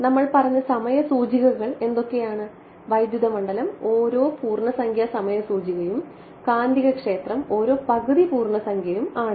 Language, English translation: Malayalam, What are the time indices we had said that electric field is every integer time index and magnetic field every half integer right